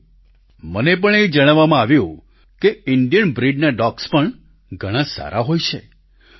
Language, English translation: Gujarati, Friends, I have also been told that Indian breed dogs are also very good and capable